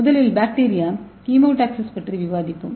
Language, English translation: Tamil, So first we will see bacterial chemo taxis